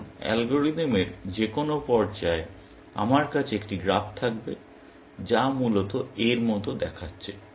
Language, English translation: Bengali, Now, at any stage of the algorithm, I will have a graph which looks like that, essentially